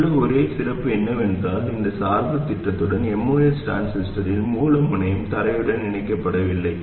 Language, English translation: Tamil, The only thing special here was with this biasing scheme, the source terminal of the most transistor is not connected to ground